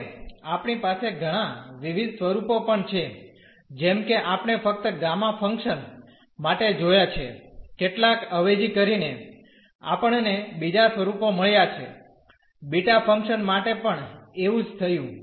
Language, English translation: Gujarati, Now, we have also several different forms like we have seen just for the gamma function by some substitution we got another form, same thing happened for beta function